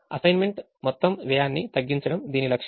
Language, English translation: Telugu, the objective is to minimize the total cost of assignment